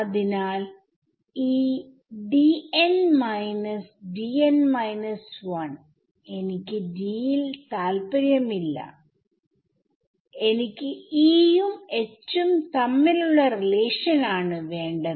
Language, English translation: Malayalam, So, this D n minus D n minus 1, I am not interested in D, I want relation between E and H